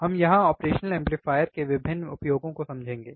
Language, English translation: Hindi, here we will be understanding the various applications and operational of amplifiers